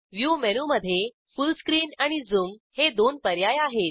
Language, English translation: Marathi, In the View menu, we have two options Full Screen and Zoom